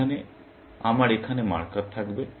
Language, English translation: Bengali, Here, I would have marker here